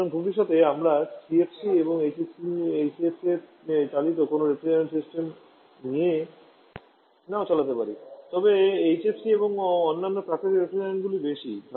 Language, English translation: Bengali, So in future, we may not be having any refrigeration system running CFC is anyone HCFC but more on HFC and other natural refrigerants